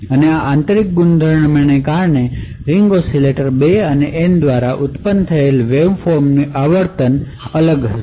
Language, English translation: Gujarati, And because of these intrinsic properties the frequency of the waveform generated by the ring oscillators 2 and N would be different